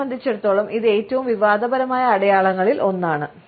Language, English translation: Malayalam, For me this one is one of the most controversial signs